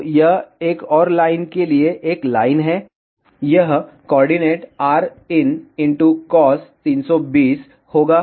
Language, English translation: Hindi, So, this is one line for another line, this coordinate will be rin cos 320